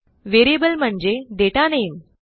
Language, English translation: Marathi, Variable is a data name